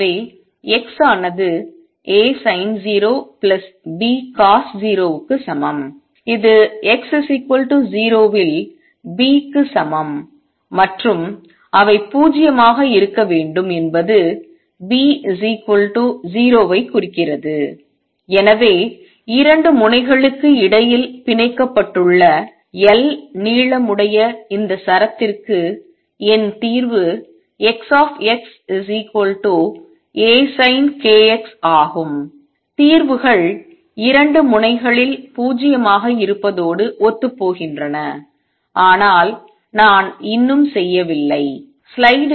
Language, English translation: Tamil, So, X is equal to A sin 0 plus B cosine of 0 which is equal to B this is at x equal to 0 and they should be 0 implies B is 0 and therefore, my solution for this string of length L tied between 2 ends is X x equals A sin k x that is consistent with the solutions being 0 at 2 ends, but I am still not done